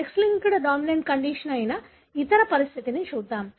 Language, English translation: Telugu, Let’s look into the other condition that is X linked dominant condition